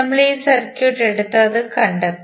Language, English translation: Malayalam, We took this circuit and we stabilized that